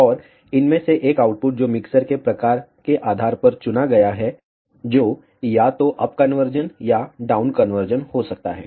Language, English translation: Hindi, And one of these outputs which chosen depending on the type of the mixture, which can be either up conversion or down conversion